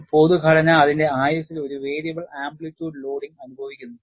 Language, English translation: Malayalam, A general structure, over its life time, experiences a variable amplitude loading